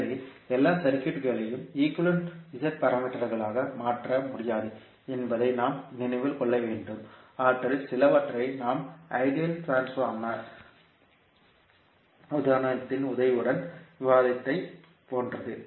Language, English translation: Tamil, So, we have to keep in mind that not all circuits can be converted into the equivalent Z parameters to a few of them are like we discussed with the help of ideal transformer example